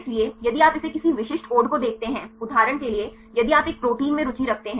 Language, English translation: Hindi, So, if you look at it the any specific code, for example if you are interested in one protein